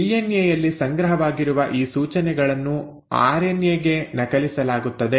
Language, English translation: Kannada, Now these instructions which are stored in DNA are then copied into RNA